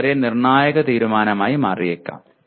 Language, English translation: Malayalam, It can become a very crucial decision